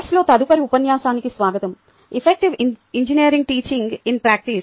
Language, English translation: Telugu, welcome to the next lecture in the course: effective engineering: teaching in practice